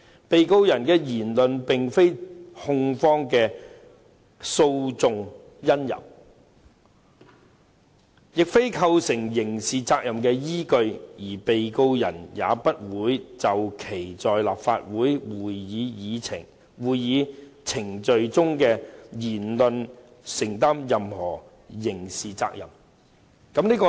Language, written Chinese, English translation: Cantonese, 被告人的言論並非控方的訴訟因由，亦非構成刑事責任的依據，而被告人也不會就其在立法會會議程序中的言論承擔任何刑事責任。, The words said by the Defendant are not the cause of prosecution action or the foundation of criminal liability and he is not exposed to any criminal liability in respect of what he said in LegCo proceedings